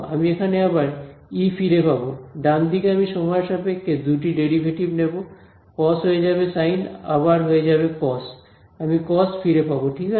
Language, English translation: Bengali, I will get E back over here, right hand side I will take two derivatives with respect to time; cos will become sin will become cos I will get back cos right